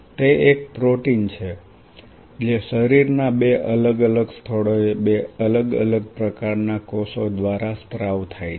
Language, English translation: Gujarati, It is a protein secreted by two different kind of cells at two different places of the body